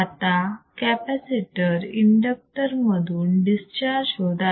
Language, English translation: Marathi, Now, the capacitor is discharging through the inductor and